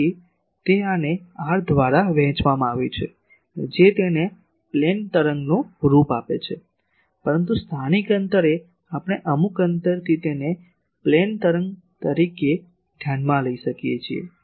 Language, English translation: Gujarati, So, it is this divided by r that gives it a plane wave form, but at a sufficient distance locally over certain distance we can consider it as a plane wave